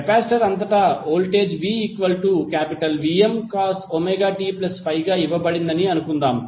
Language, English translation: Telugu, Suppose the voltage across capacitor is given as V is equal to Vm cos Omega t plus Phi